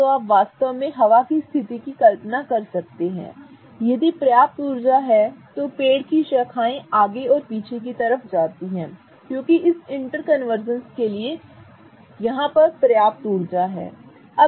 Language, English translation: Hindi, So, if there is enough energy, so you can imagine really windy situation if there is enough energy then the tree branch is going to go back and forth because there is enough energy for these interconversions to happen